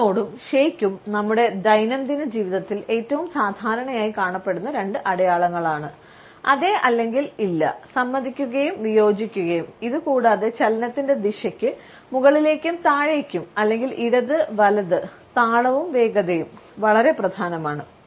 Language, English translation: Malayalam, The nod and shake, the probably most common two signs we use in our daily lives are the nod and the head shake; yes and no, agreeing and disagreeing and besides the direction of the motion up and down or left and right rhythm and speed are also very important